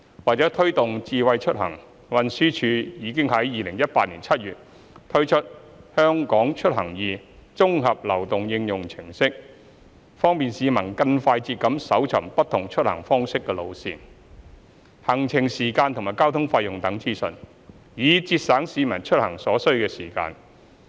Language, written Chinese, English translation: Cantonese, 為推動"智慧出行"，運輸署已於2018年7月推出"香港出行易"綜合流動應用程式，方便市民更快捷地搜尋不同出行方式的路線、行程時間及交通費用等資訊，以節省市民出行所需時間。, To promote Smart Mobility TD introduced the all - in - one mobile application HKeMobility in July 2018 allowing members of the public to search for routes journey times transport fares and other information relating to different means of travel more quickly and conveniently so as to reduce the required travelling time